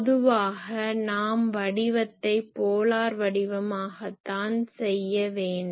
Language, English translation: Tamil, If I have a pattern generally , we do it in a polar pattern